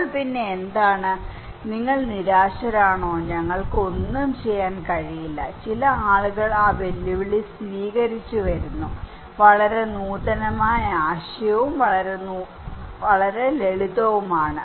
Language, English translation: Malayalam, So then what else, are you hopeless, we cannot do anything, some people coming with accepting that challenge, coming with a very innovative idea, a very innovative idea and very simple